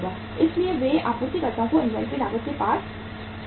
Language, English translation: Hindi, So they are passing on the inventory cost to the suppliers